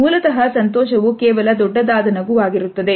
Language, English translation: Kannada, So, basically happiness is just a big old smile